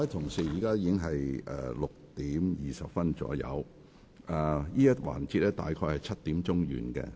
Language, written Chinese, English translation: Cantonese, 各位同事，現在是6時20分左右，而這個環節會約於7時完結。, Honourable Members it is now around 6col20 pm and this session will end around 7col00 pm